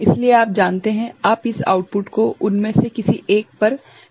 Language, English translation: Hindi, So, you are you know, you are taking this output to one of them right